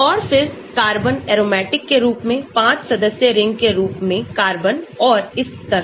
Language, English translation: Hindi, And then carbon in the aromatic, carbon in a 5 membered ring form and so on